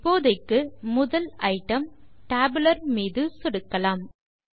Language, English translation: Tamil, For now, we will click on the first item, Tabular